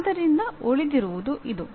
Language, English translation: Kannada, So what remains is this